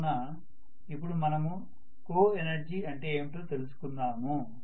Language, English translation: Telugu, So let us try to look at what is coenergy